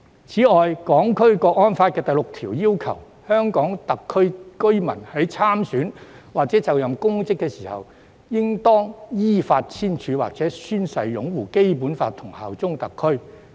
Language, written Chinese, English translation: Cantonese, 此外，《香港國安法》第六條訂明，香港特別行政區居民在參選或就任公職時應當依法簽署或宣誓擁護《基本法》和效忠特區。, In addition Article 6 of the National Security Law stipulates that a resident of HKSAR who stands for election or assumes public office shall confirm in writing or take an oath to uphold the Basic Law and swear allegiance to HKSAR in accordance with law